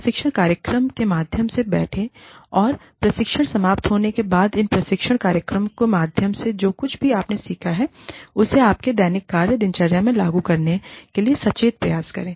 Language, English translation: Hindi, And, after the training ends, make a conscious effort to apply, whatever you have learned, through these training programs, into your daily work routine